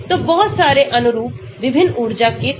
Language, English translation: Hindi, So, lot of conformers with different energy